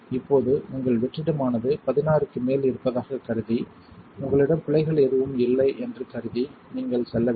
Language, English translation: Tamil, Now, assuming your vacuum is above 16 and you have no errors you should be good to go